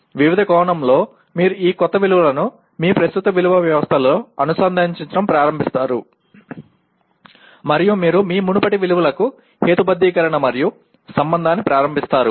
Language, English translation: Telugu, In the sense you will start integrating this new values into your existing value system and you start rationalizing and relating to your earlier values